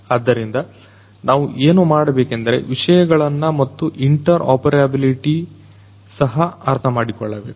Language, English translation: Kannada, So, so, what we need to do is to understand those things and also interoperability